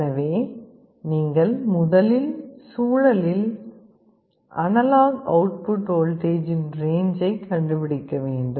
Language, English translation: Tamil, So, you will have to first find out the range of analog output voltage in the expected environment